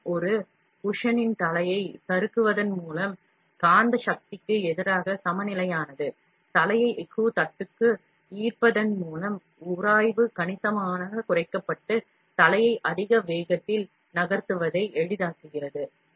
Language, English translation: Tamil, By gliding the head of the of a cushion of air, counterbalanced against the magnetic force, attracting the head to a steel platen, friction was significantly reduced, making it easier to move the head around at a higher speed